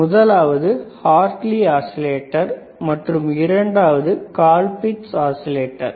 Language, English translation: Tamil, tThe first one wasis a Hartley oscillator and the second one was colpitts oscillator